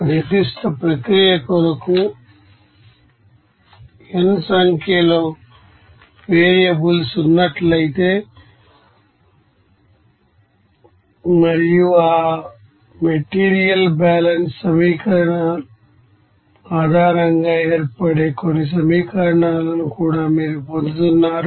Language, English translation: Telugu, If you know that there are n number of variables for a particular process and also you are getting that some numbers of equations that is form based on that material balance equation